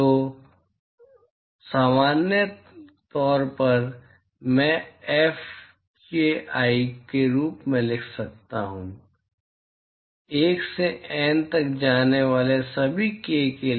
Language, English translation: Hindi, So, in general, I can write this as Fki, for all k going from 1 to N